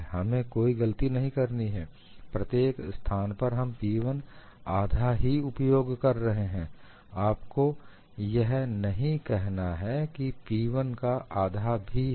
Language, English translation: Hindi, We should not make a mistake, everywhere we use half of P 1, you should not say that this is also half of P1; it is actually P1 into d v